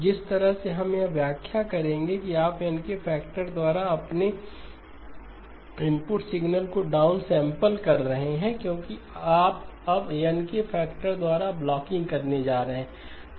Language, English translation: Hindi, So the way we would interpret it is you take your input signal downsample by a factor of N, because you are going to now do blocking by a factor of N